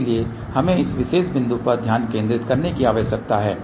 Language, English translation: Hindi, So, we need to focus at this particular point